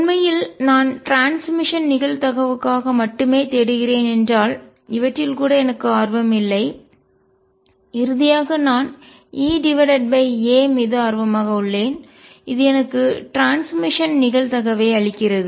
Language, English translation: Tamil, And In fact, if I am looking only for transmission probability I am not even interested in these and finally, I am interested in E over A, which gives me the transmission probability